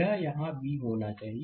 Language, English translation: Hindi, It should be V here